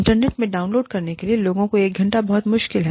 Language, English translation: Hindi, One hour is too difficult for people, to download from the internet